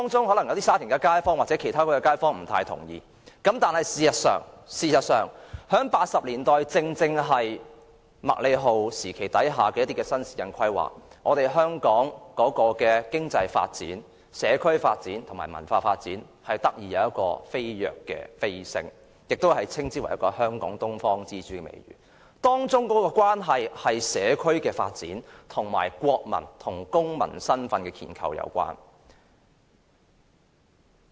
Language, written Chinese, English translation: Cantonese, 可能有沙田街坊或其他地區的街坊不太同意，但1980年代的麥理浩時期新市鎮發展蓬勃，香港的經濟發展、社區發展和文化發展得以飛躍成長，香港亦獲得東方之珠的美譽，當中與社區發展，以及國民與公民身份的建構有關。, Some residents of Sha Tin and other districts may not agree . But in the 1980s owing to the flourishing development of new towns in the MACLEHOSE era as well as the boom in Hong Kongs economic development community development and cultural development Hong Kong gained its reputation as the Pearl of the Orient . This had something to do with community development and the construction of the identity of nationals and citizens